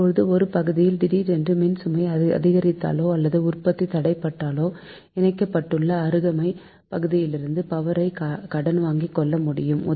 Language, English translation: Tamil, now, if there is a sudden increase in load or loss of generation in one area, it is possible to borrow power from adjoining interconnected area